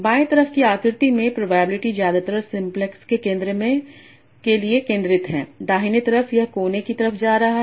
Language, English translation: Hindi, So in the left hand side figure, the probability is most descended for in the center of the simplex